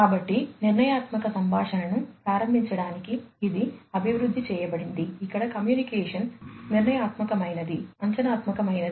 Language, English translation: Telugu, So, it was developed to enable deterministic communication, where the communication is going to be deterministic, predictive